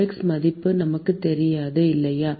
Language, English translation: Tamil, We do not know the qx value, right